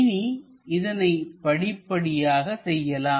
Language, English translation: Tamil, Let us look at it step by step